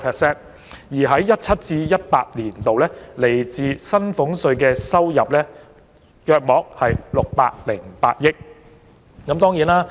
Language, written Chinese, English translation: Cantonese, 在 2017-2018 年度，政府來自薪俸稅的收入約為620億元。, In YA 2017 - 2018 the Governments revenue from salaries tax was about 62 billion